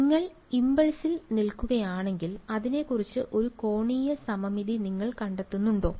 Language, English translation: Malayalam, If you are standing at the impulse, do you find an angular symmetry about it right